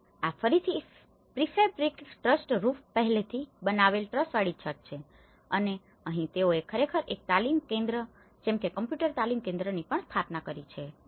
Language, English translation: Gujarati, And this is again a prefabricated trussed roof and here they have actually established a training center even computer training center as well